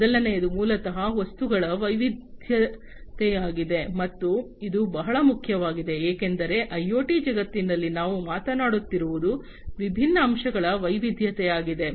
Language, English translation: Kannada, The first one is basically the diversity of the objects, and this is very key because in the IoT world what we are talking about is diversity of different aspects